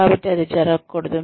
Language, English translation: Telugu, So, that should not happen